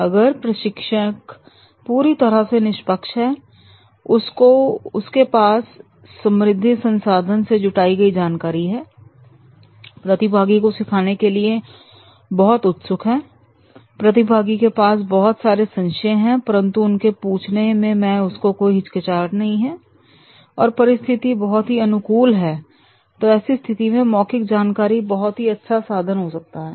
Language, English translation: Hindi, If the trainer is totally unbiased, trainer is having the high rich resources of his content, trainee is very keen to learn, he is having certain doubts but does not hesitate to ask the doubts and the situation is very favorable, then in that case the verbal information that will be more and more productive